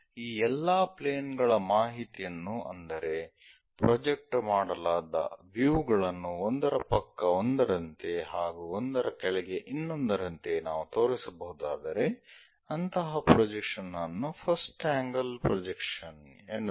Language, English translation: Kannada, If we can show all these plane information, the projected views showing side by side one below the other that kind of projection is called first angle projection